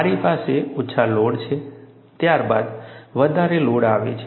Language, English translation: Gujarati, I have a smaller load followed by a larger load